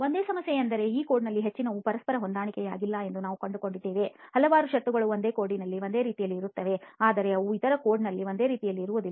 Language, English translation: Kannada, The only problem is very many times we have find most of these codes are not very well in agreement with each other, there are several clauses which are in one way in one code but they are not present in same way in the other code